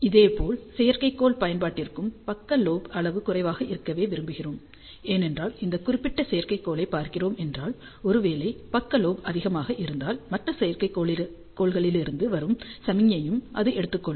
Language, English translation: Tamil, Similarly, for satellite application also we would like side lobe levels to be low, because if we are looking at this particular satellite, and if the side lobe is high, then it may pick up the signal from the other satellite also